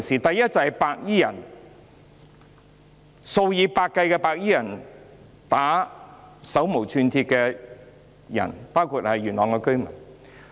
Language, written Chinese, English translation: Cantonese, 第一，數以百計白衣人毆打手無寸鐵的市民，包括元朗居民。, Firstly hundreds of white - clad men assaulted the unarmed civilians including the residents of Yuen Long